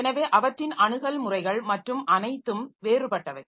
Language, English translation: Tamil, So, they are access patterns and everything is different